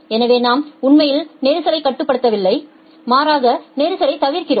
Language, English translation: Tamil, So, we are not actually controlling congestion rather we are avoiding congestion